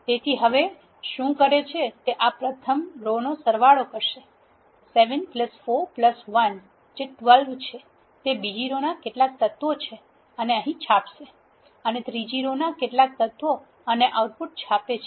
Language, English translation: Gujarati, So, now what does is it will sum up this first row 7 plus 4 plus 1 it is 12 some of the elements in the second row and prints here, and some of the elements in the third row and prints the output